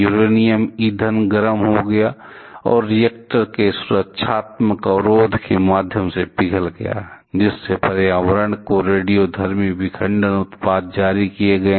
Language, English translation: Hindi, Uranium fuel got overheated and melted through the protective barrier of the reactor, releasing radioactive fission products to the environment